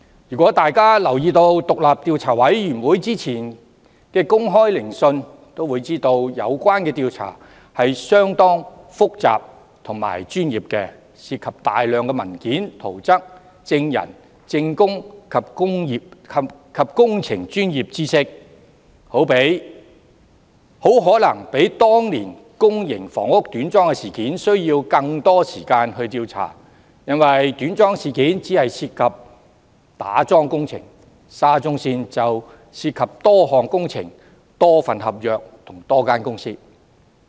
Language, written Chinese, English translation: Cantonese, 如果大家有留意委員會之前的公開聆訊，會發現有關調查是相當複雜和專業的，當中涉及大量文件、圖則、證人、證供及工程專業知識，很可能比當年公營房屋短樁事件需要更多時間調查，因為短樁事件只涉及打樁工程，而沙中線事件則涉及多項工程、多份合約及多間公司。, If Members have paid attention to the earlier public hearings of the Commission they would find that the relevant inquiry is rather complicated and professional involving a load of documents plans witnesses evidence and professional knowledge of engineering . It may take a longer time than the inquiry into the incident of substandard piling works in public housing back then because the substandard piling works incident only involved piling works whereas the SCL incident involves various projects contracts and companies